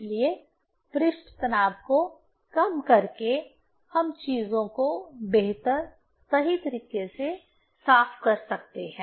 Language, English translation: Hindi, So, reducing the surface tension we can clean the things better, right